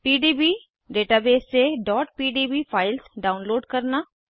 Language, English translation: Hindi, * Download .pdb files from PDB database